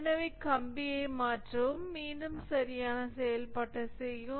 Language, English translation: Tamil, So, replace the wire and again correct operation